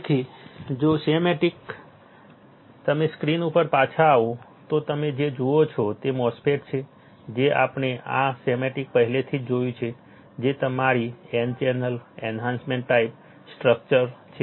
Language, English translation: Gujarati, So, if you come back to the screen what you see is the MOSFET that we have already seen this schematic which is your n channel enhancement type structure